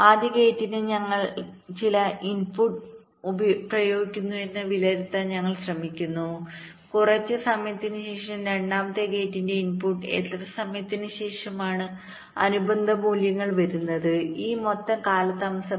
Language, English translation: Malayalam, we are trying to evaluate that we are applying some input to the first gate after some time, after how much time the corresponding values are coming to the input of the second gate, this total delay, right now